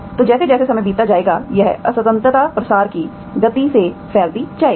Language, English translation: Hindi, So as time goes, still this discontinuity will propagate with the speed of propagation